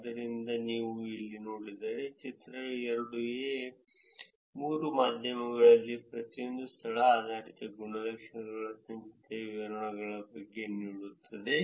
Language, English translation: Kannada, So, if you see here, the figure 2 is giving you the cumulative distribution of location based attributes in each of the three media; a is for Foursquare, b is for Google plus and c is for Twitter